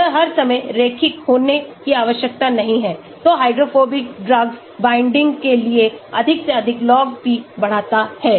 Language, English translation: Hindi, It need not be all the time linear, so greater for hydrophobic drugs binding increases as log p increases